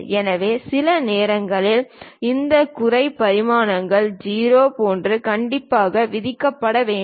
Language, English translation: Tamil, So, sometimes this lower dimensions supposed to be strictly imposed like 0